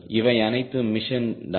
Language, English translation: Tamil, these all mission